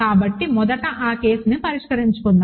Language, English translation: Telugu, So, let us first clear settle that case